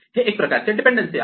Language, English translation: Marathi, This is a kind of dependency